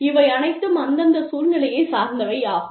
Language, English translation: Tamil, And, all of this is, very contextual